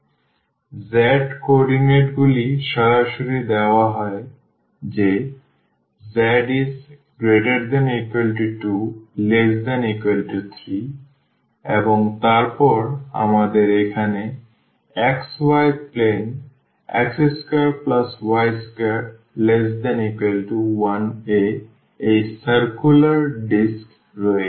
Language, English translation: Bengali, So, the z coordinates are directly given that z varies from 2 to 3 and then we have this circular disc here in the xy plane x square plus y square less than equal to 1